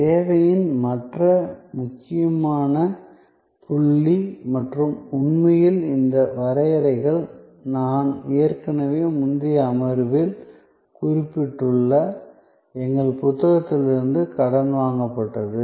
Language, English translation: Tamil, The other important point in service and this by the way is actually, these definitions are borrowed from our book, which I had already mentioned in the earlier session